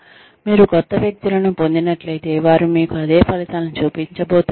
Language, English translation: Telugu, If you get new people, are they going to show you the same results